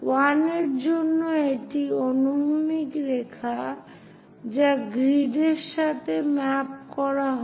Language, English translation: Bengali, For 1, this is the horizontal line which is mapped with the grid